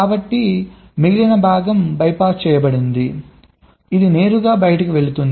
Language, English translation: Telugu, so the remaining part is, by passed in, will go straight to out